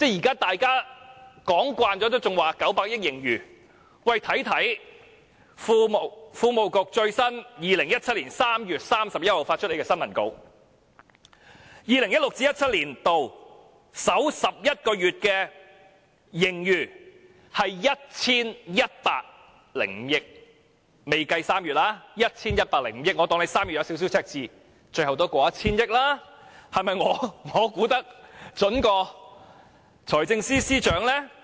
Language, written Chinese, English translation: Cantonese, 當大家都說今年有900多億元盈餘時，財經事務及庫務局卻在2017年3月31日發出的新聞公報中指出 ，2016-2017 年度首11個月的盈餘為 1,105 億元，這仍未計算3月的收支情況，但即使假設3月出現輕微赤字，最後的盈餘也會超過 1,000 億元。, When everyone talked about a fiscal surplus of some 90 billion this year the Financial Services and the Treasury Bureau issued a press release on 31 March 2017 pointing out that the cumulative surplus in 2016 - 2017 was 110.5 billion as at the end of the first 11 months of 2017 with the revenue and spending in March 2017 yet to been included . It was said even though a slight deficit was expected in March the final amount of fiscal surplus would still exceed 100 billion